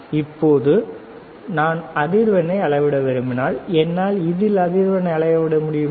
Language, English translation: Tamil, Now, if I want to measure the frequency, can I measure the frequency, right